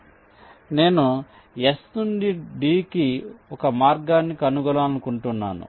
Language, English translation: Telugu, so i want to find out a path from s, two d like this